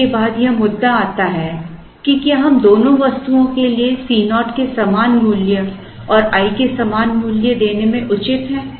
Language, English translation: Hindi, Then it comes to the issue of, are we justified in giving the same value of C naught and the same value of i for both the items